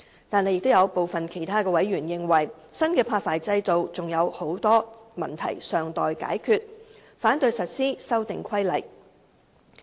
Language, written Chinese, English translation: Cantonese, 但是，有部分其他委員認為，新的發牌制度還有許多問題尚待解決，反對實施《修訂規例》。, However some other members consider that many issues remain unresolved in respect of the new licensing regime and thus oppose the implementation of the Amendment Regulation